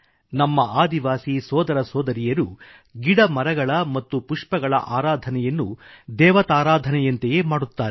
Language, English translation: Kannada, Our tribal brethren worship trees and plants and flowers like gods and goddesses